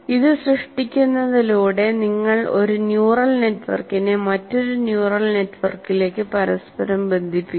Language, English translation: Malayalam, By creating this, once again, you are interconnecting one neural network to another neural network